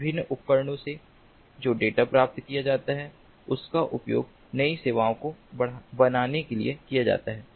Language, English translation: Hindi, the data that is obtained are used for creating new services